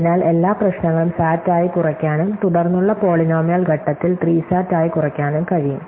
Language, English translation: Malayalam, So, every problem can be reduce to SAT and then in a further polynomial step reduce to SAT